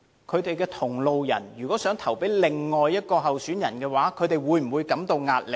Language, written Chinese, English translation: Cantonese, 他們的同路人如果想投票給另一位候選人，他們會否感到壓力呢？, Will EC members who are their allies feel under pressure if they intend to vote for another candidate?